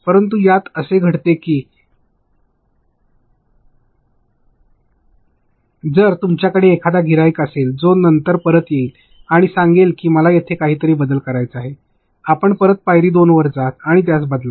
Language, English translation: Marathi, But, what happens within this is if you have a client who is later going to come back and say no you know I wanted to change something there, you go back to step 2 and go change it